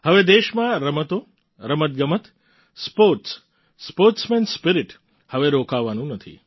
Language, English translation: Gujarati, In the country now, Sports and Games, sportsman spirit is not to stop